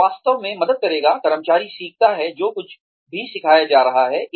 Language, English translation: Hindi, That will really help, the employee learn, whatever one is being taught